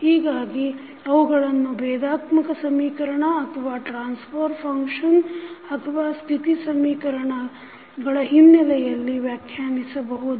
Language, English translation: Kannada, So, they can be defined with respect to differential equations or maybe the transfer function or state equations